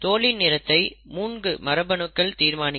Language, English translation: Tamil, The skin colour is determined by 3 genes